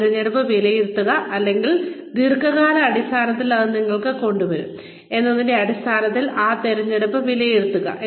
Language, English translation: Malayalam, Assess that choice, or, evaluate that choice, or, weigh that choice, in terms of, what it will bring to you in the long term